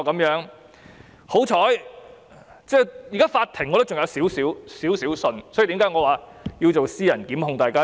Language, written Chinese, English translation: Cantonese, 現時我對法庭尚有少許信任，這是我現在及未來要提出私人檢控的原因。, Now that I still have a certain degree of confidence in the Court I will initiate private prosecutions these days and in the future